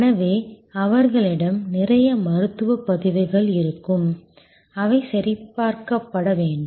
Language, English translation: Tamil, So, they will have lot of medical records etc which will need to be checked